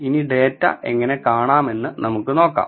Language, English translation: Malayalam, Now, let us see how to view the data